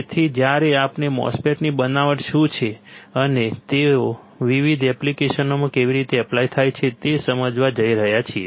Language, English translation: Gujarati, So, that we do not get lost when we are going to understand what exactly the MOSFET fabrication is, and how they are applied in different applications